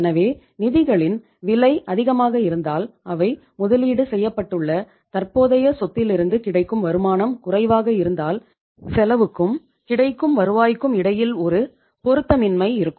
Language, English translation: Tamil, So if the cost of funds is high and the returns available from the asset in which they are invested in the that is the current assets, if the return is lesser from those assets in that case there will be a mismatch between the cost and the revenue available